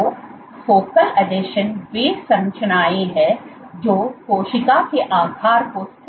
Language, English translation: Hindi, So, focal adhesions are those structures which stabilize cell shape